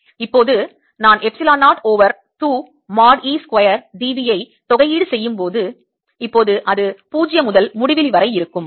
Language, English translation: Tamil, now, when i do the integration epsilon zero over two mod e square d v now it'll be from zero to infinity